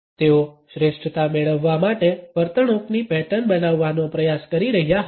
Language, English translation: Gujarati, They were trying to model behavioural patterns to obtain excellence